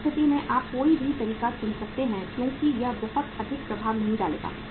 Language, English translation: Hindi, In that case you can choose any method because that will not impact much